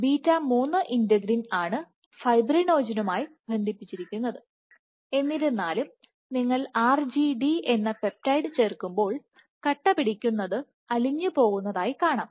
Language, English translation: Malayalam, 3 integrin is what binds to fibrinogen; however, when you add this peptide RGD you see that the clot falls apart